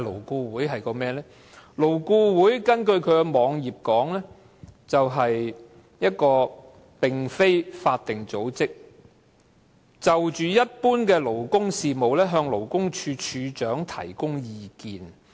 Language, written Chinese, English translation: Cantonese, 根據勞顧會的網頁，勞顧會"是一個非法定組織，就一般勞工事務，向勞工處處長提供意見。, According to the website of LAB it is a non - statutory body to advise the Commissioner for Labour on labour matters